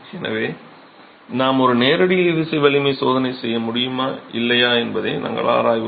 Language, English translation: Tamil, So, whether we will be able to do a direct tensile strength test or not we will examine